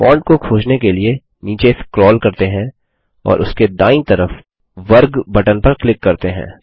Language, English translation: Hindi, Let us scroll down to find Font and click on the square button on its right